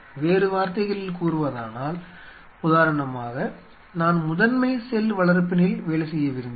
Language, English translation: Tamil, in other word say for example, I wanted to work on primary cultures